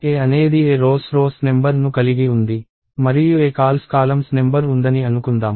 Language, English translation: Telugu, Let us assume that, A has aRows number of rows and aCols number of columns